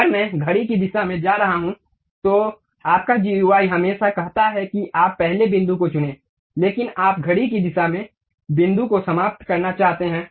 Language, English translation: Hindi, If I am going to do clockwise direction, your GUI always says that you pick the first point, but you want to end the point in the clockwise direction